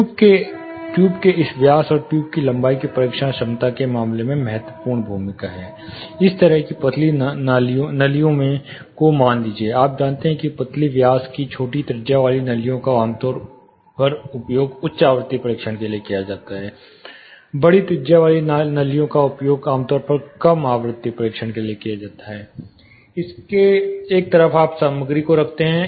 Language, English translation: Hindi, (Refer Slide Time: 05:20) This diameter of the tube and the length of the tube has a critical you know position to play in terms of the testing efficiencies; say this kind of thinner tubes, you know thin diameter smaller radius tubes are used for high frequency testing, the larger ones used for typically low frequency testing, on one side of it you mount the material